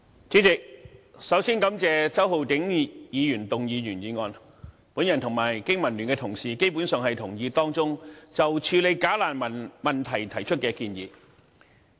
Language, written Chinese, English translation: Cantonese, 主席，首先感謝周浩鼎議員動議原議案，我和香港經濟民生聯盟的同事基本上同意當中就處理"假難民"問題所提出的建議。, President first I would like to thank Mr Holden CHOW for moving the original motion . I and fellow Members belonging to the Business and Professionals Alliance for Hong Kong BPA basically agree to the recommendations proposed to handle the problem of bogus refugees